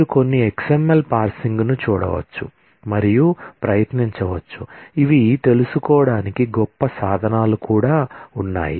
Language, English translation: Telugu, You can look up certain XML parsing and try out, there are great tools to learn